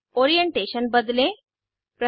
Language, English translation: Hindi, Change the orientation 3